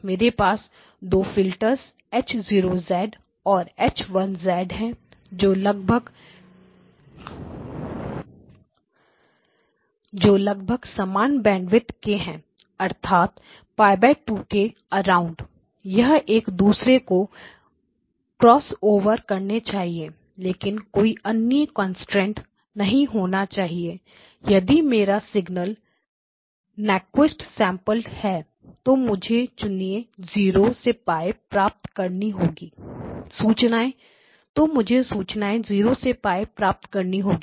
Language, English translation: Hindi, I am going to have 2 filters H0 and H1 which are approximately of same bandwidth, so which means that around somewhere around Pi by 2, they should cross over, but there is no other constraint if my input signal is Nyquist sampled then I have a information content all the way from 0 to Pi, that is the input signal